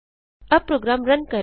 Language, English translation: Hindi, Let us Run the program now